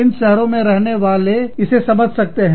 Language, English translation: Hindi, People, living in that city, understand this